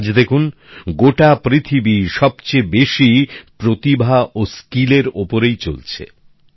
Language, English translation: Bengali, And now see, today, the whole world is emphasizing the most on skill